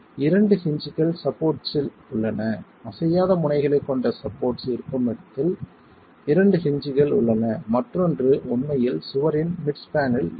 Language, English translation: Tamil, Two hinges are at the supports, at the location of the supports with the non moving ends which are the rigid supports, two hinges are there and the other hinge is actually at the mid span of the wall